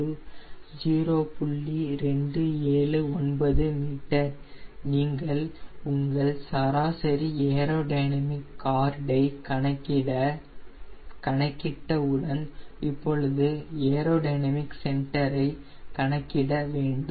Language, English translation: Tamil, once you have calculated your mean aerodynamic chord, now you have to calculate aero dynamic centre